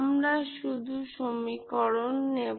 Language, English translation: Bengali, So we will just take the equation